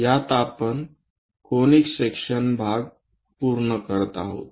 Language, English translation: Marathi, In this, we are completing the Conic Sections part